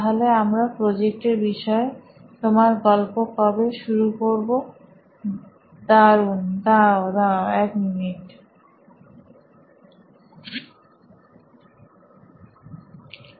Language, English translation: Bengali, Okay, when to start with your story on what the project is about, oh excellent wait wait wait a minute, wait a minute, FLASHBACK